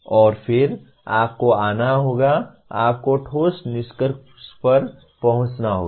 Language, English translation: Hindi, And then you have to come to, you have to reach substantiated conclusions